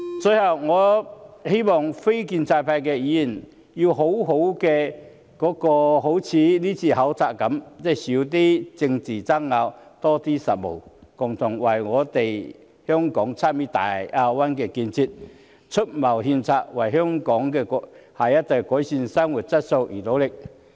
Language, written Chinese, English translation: Cantonese, 最後，我希望非建制派的議員，要好好......即正如今次考察般，少些政治爭拗，多些實務，共同為香港參與大灣區的建設，出謀獻策，為香港下一代改善生活質素而努力。, Finally I hope that non - establishment Members will properly I mean just like the visit on this occasion we should argue less about politics and do more actual work offering suggestions about Hong Kongs participation in developing the Greater Bay Area together and striving for a better quality of living for Hong Kongs next generation